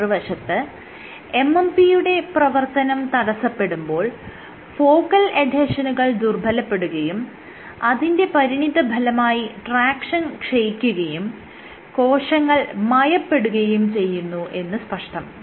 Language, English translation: Malayalam, On the other hand, if you inhibit a MMP activity there is loss of focal adhesions, that leads us to loss of tractions, and also leads to cell softening